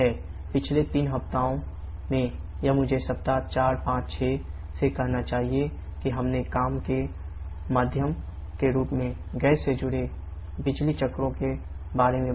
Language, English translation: Hindi, So, that is it for week number 6 in the previous 3 weeks or I should say from week 4 5 and 6 we have talked about the power cycles involving gas as a working medium